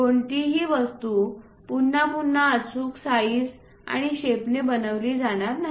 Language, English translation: Marathi, No object will be made with precise size and also shape in a repeated way